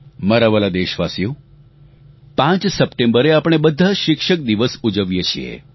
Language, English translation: Gujarati, My dear countrymen, we celebrate 5th September as Teacher's Day